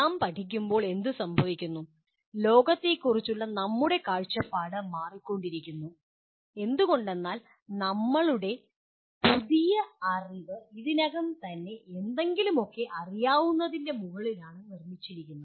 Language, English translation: Malayalam, And what happens, as we keep learning our view of the world keeps changing because we are anything new that we acquire is built on top of what we already know